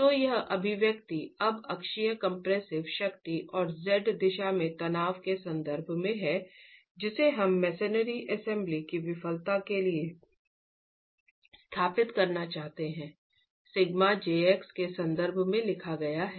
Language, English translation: Hindi, So this expression now in terms of the unaxial compressive strength and the stress in the Z direction, which is what we want to establish for the failure of the masonry assembly is written in terms of sigma j x